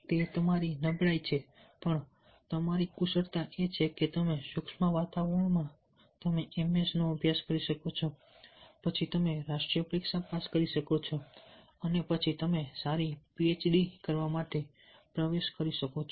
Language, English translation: Gujarati, and the opportunities in micro environment is that you can study, do the ms, then you can clear the national test and then you can enter in to a phd